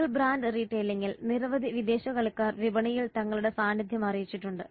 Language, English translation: Malayalam, In single brand retailing many foreign players have made their presence in the market